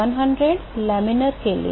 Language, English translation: Hindi, 2100 for laminar to